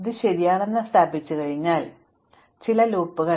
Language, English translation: Malayalam, So, there are some obvious loops in this